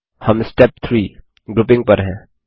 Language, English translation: Hindi, We are in Step 3 Grouping